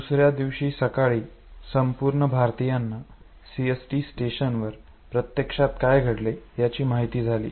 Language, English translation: Marathi, That next morning a whole lot of Indians they realize what actually happened at CST station